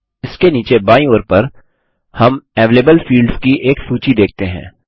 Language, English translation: Hindi, Below this, we see a list of available fields on the left hand side